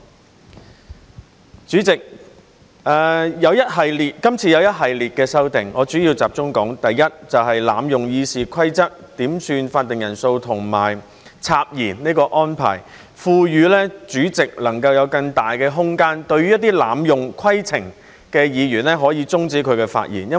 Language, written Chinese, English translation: Cantonese, 代理主席，今次有一系列的修訂，我主要集中說第一，就是濫用《議事規則》點算法定人數和插言這安排，賦予主席能夠有更大的空間，對一些濫用規程的議員，可以終止他的發言。, Deputy President there are a series of amendments this time . I would like to focus on the first group of amendments on abusing RoP to request quorum calls and make interruptions allowing more room for the President to ask Members who abuse points of order to stop speaking